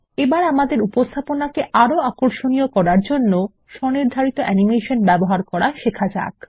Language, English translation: Bengali, Lets learn how to use custom animation to make our presentation more attractive